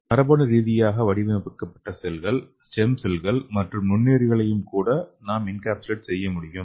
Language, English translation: Tamil, So we can also encapsulate genetically engineered cells, stem cells and even microorganisms okay